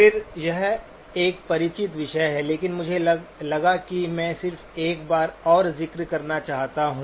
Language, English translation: Hindi, Again, this is a familiar topic but I thought I just wanted to mention one more time